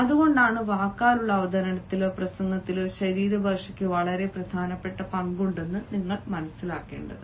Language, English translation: Malayalam, that is why you need to understand that body language has a very important role to play in an oral presentation or a speech